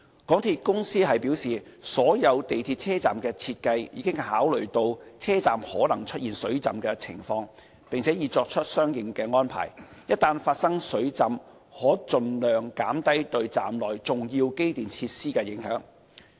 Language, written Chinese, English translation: Cantonese, 港鐵公司表示，所有港鐵車站的設計已考慮到車站可能出現水浸的情況，並已作出了相應安排，一旦發生水浸可盡量減低對站內重要機電設施的影響。, According to MTRCL the possibility of flooding in stations has been taken into account when designing all MTR stations . Arrangements have also been made to minimize the impact on the important electrical and mechanical equipment of stations in the event of flooding